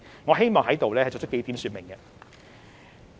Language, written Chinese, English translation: Cantonese, 我希望在此作出幾點說明。, I would like to make a few points here